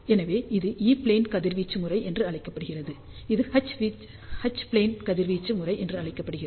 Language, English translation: Tamil, So, this is known as E plane radiation pattern; this is known as H plane radiation pattern